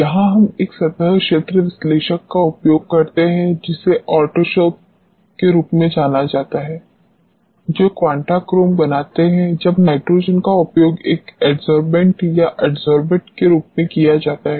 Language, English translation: Hindi, This is where we use a surface area analyzer which is known as Autosorb which is Quantachrome make, when nitrogen is used as an adsorbent or adsorbate